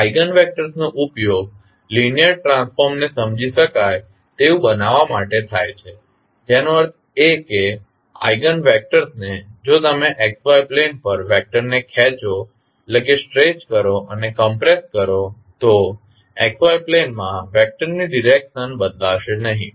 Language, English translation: Gujarati, Eigenvectors are used to make the linear transformation understandable that means the eigenvectors if you stretch and compress the vector on XY plane than the direction of the vector in XY plane is not going to change